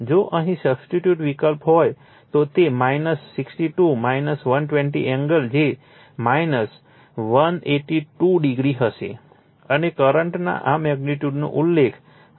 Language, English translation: Gujarati, If you substitute here, so it will be minus 62 minus 120 angle will be minus 182 degree and this magnitude of the current will be mentioned 2